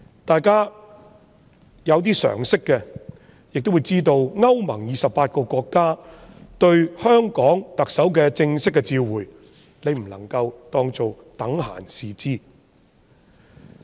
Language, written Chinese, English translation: Cantonese, 稍有常識的人亦會知道，歐洲聯盟28個國家向香港特首發出正式的外交照會，我們不能等閒視之。, People with some common sense would also know that 28 member states of the European Union issued an official diplomatic demarche to the Chief Executive of Hong Kong and we should not take it lightly